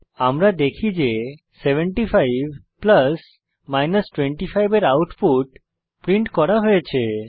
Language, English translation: Bengali, we see that the output of 75 plus 25 has been printed Now let us try subtraction